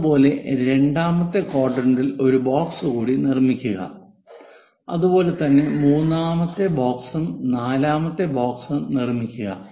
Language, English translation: Malayalam, Similarly, construct one more box in the second quadrant and similarly, a 3rd box and a 4th box